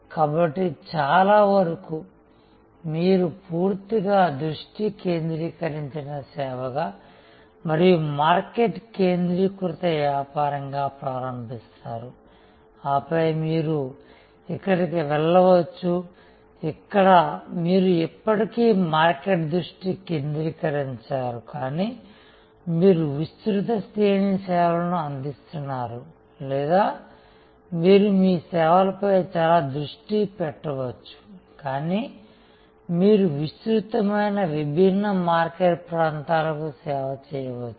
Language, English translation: Telugu, So, most probably you will start as a fully focused service and market focused business and then you can either move here, where you are still market focused, but you are providing a wide range of services or you can be very focused on your service, but you can serve a wide different market areas